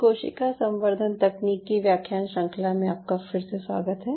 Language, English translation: Hindi, welcome back to the lecture series in ah cell culture technology